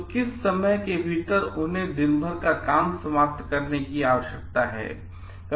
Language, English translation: Hindi, So, within what time they need to finish a job